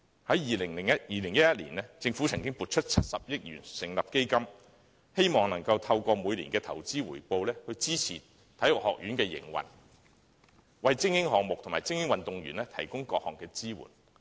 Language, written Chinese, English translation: Cantonese, 在2011年，政府曾撥出70億元成立基金，希望透過每年的投資回報，支持香港體育學院的營運，為精英項目及精英運動員提供各項支援。, In 2011 the Government allocated 7 billion for the setting up of a fund in the hope that its annual investment return can support the operation of the Hong Kong Sports Institute HKSI and provide various kinds of support for elite sports and athletes